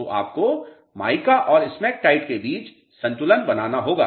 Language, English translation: Hindi, So, you have to balance between the mica and smectite content